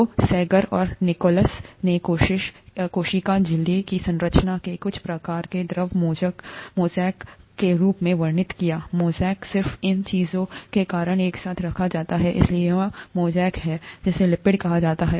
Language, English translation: Hindi, So Sanger and Nicholson described the structure of a cell membrane as some kind of a ‘fluid mosaic’; mosaic is just these things put in together, so this is a mosaic of, what are called ‘lipids’